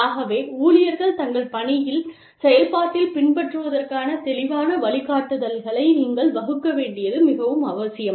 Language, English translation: Tamil, So, it is very essential that, you lay down, clear guidelines for the employees, to follow, you know, in the process of their work